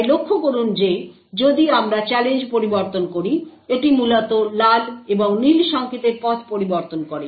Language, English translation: Bengali, So note that if we change the challenge, it essentially changes the path for the red and blue signals and as a result output may change